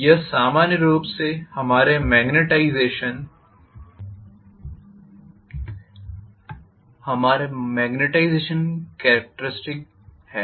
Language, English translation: Hindi, This is what is our magnetization characteristics normally